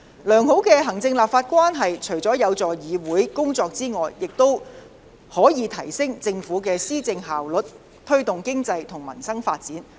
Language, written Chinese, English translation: Cantonese, 良好的行政立法關係除可有助議會的工作外，亦可提升政府的施政效率，推動經濟和民生發展。, Apart from facilitating the work of the legislature a harmonious executive - legislature relationship can help to enhance the governance efficiency of the Government and promote economic and livelihood development